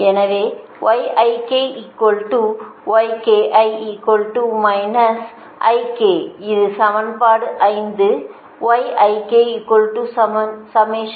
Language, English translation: Tamil, so this is actually equation three, right